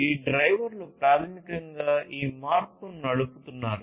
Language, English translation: Telugu, These drivers are basically driving this change